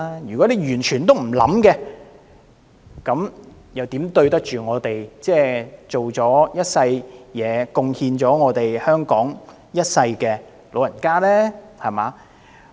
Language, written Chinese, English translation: Cantonese, 如果當局完全不作考慮，又怎對得起這些辛勞一世貢獻香港的老人家呢？, If the Administration does not consider their situation at all how can it face up to the elderly who have laboured throughout their lives for making contributions to Hong Kong?